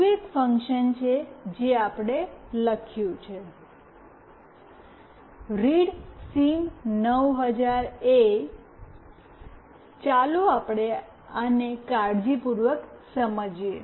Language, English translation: Gujarati, There is one more function that we have written, readSIM900A(), let us understand this carefully